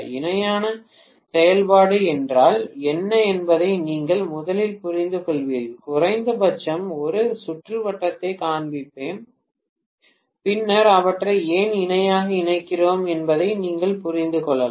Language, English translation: Tamil, You understand first of all what is parallel operation, let me show at least a circuit, then you may be able to understand why we are connecting them in parallel